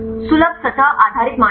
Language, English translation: Hindi, Accessible surface based criteria